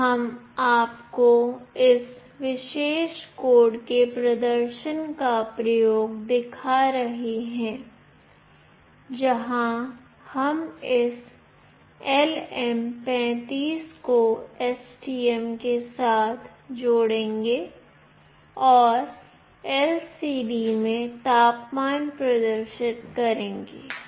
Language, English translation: Hindi, Now we will be showing you the experiment the demonstration of this particular code, where we will be interfacing this LM35 with STM and will display the temperature in the LCD